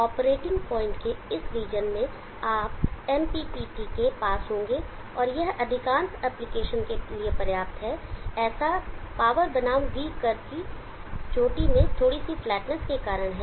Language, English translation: Hindi, In this region of operating point you would be at near MPPT and that is sufficient for most of the applications, because of slight flatness in the hill of the power versus V curve